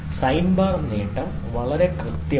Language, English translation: Malayalam, Sine bar is advantage is very precise and accurate